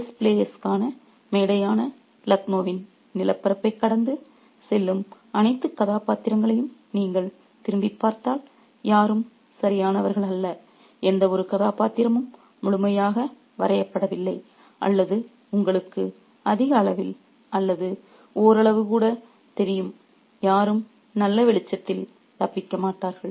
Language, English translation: Tamil, If you think back to all the characters that pass through the landscape of Lucknow, which is the stage for the chess players, nobody is perfect, no character which has been delineated fully or even, you know, to a greater extent or even marginally, nobody gets away in a good light